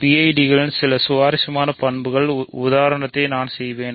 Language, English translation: Tamil, I will do just to illustrate some interesting properties of PIDs